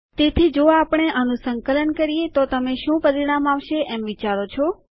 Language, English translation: Gujarati, So if we compile this what do you think the result is gonna be